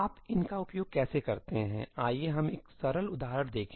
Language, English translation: Hindi, How do you use these let us see a simple example